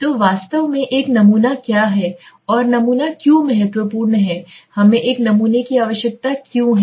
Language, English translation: Hindi, So what exactly is a sample and why is the sample important why do we require a sample